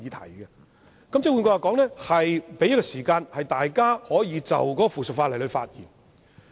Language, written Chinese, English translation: Cantonese, 換言之，這是為了給議員時間就附屬法例發言。, In other words the arrangement merely aims to give Members the time to speak on the subsidiary legislation